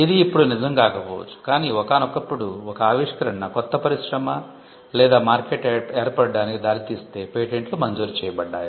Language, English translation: Telugu, It may not be true now, but initially patents were granted if that invention would lead to the creation of a new industry or a market